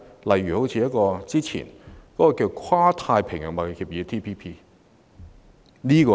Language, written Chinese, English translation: Cantonese, 為何不選擇早前的《跨太平洋夥伴關係協定》？, Why do we not choose the former Trans - Pacific Partnership Agreement TPP?